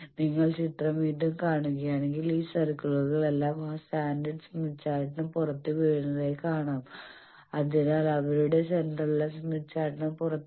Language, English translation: Malayalam, If you see again the figure you will see that all these circles most of them are falling outside of that standard smith chart, so their centers are all lying outside the smith chart